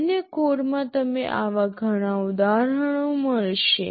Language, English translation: Gujarati, In a general code you will find many such instances